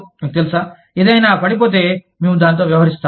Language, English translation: Telugu, You know, if something falls about, we deal with it